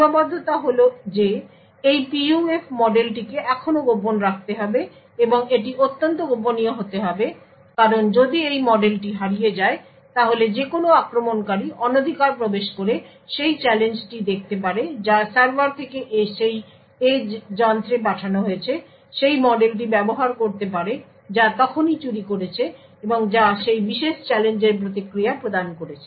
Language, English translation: Bengali, The limitation is that this PUF model still has to be kept secret and it has to be extremely secret because of this model is lost then any attacker could snoop into the challenge that is sent from the server to that edge device, use that model which it has just stolen and provide the response was that particular challenge